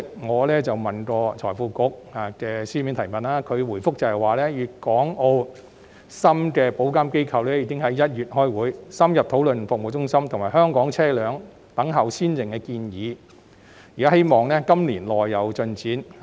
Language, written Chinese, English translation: Cantonese, 我向財庫局局長提出書面質詢，他回覆指廣東、香港、澳門和深圳的保險業監管機構已於1月開會，深入討論服務中心及香港車輛"等效先認"的建議，希望今年內有進展。, In response to my written question the Secretary for Financial Services and the Treasury pointed out that regulatory bodies of the insurance industries in Guangdong Hong Kong Macao and Shenzhen met in January for an in - depth discussion on the proposals relating to the service centres and the unilateral recognition for Hong Kong vehicles and hopefully progress would be made within this year